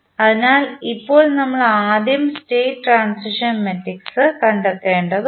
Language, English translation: Malayalam, So, now we need to find out first the state transition matrix